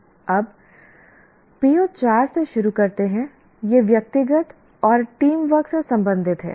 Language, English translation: Hindi, Now starting with PO4, the PO4 is related to individual and teamwork